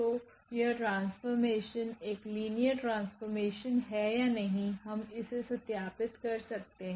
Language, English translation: Hindi, So, whether this map is a linear map or not we can verify this